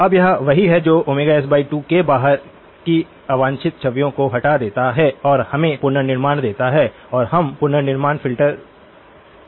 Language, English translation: Hindi, Now, this is what removes the unwanted images outside of omega s by 2 and gives us the reconstruction and we know the reconstruction filter